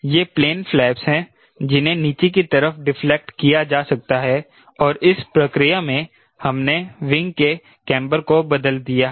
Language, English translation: Hindi, these are plane flaps which can be deflected downward and in the process what we have done, we have change camber of the wing